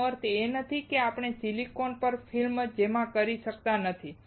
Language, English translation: Gujarati, That does not mean that we cannot deposit film on silicon